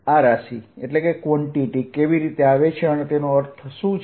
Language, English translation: Gujarati, how does this quantity come about and what does it mean